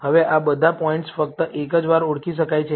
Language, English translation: Gujarati, Now, all these points can be identified only once